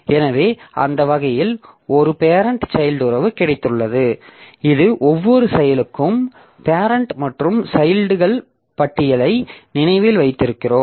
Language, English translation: Tamil, So, that way we have got a parent child relationship and this we have got for every process we remember the parent and the children list